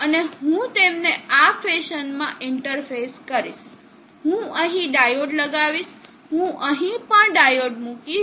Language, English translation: Gujarati, And I will interface them in this fashion, I put a diode here, I will put a diode here also